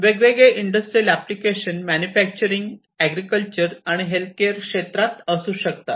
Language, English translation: Marathi, So, industrial applications could be many such as manufacturing, agriculture, healthcare, and so on